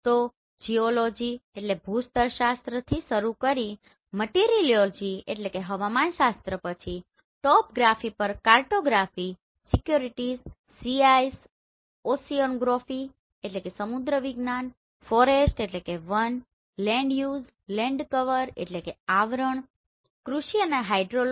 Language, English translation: Gujarati, So starting from geology, meteorology then topographic at cartography securities, Sea ice, oceanography, forest, land use, land cover, agriculture, hydrology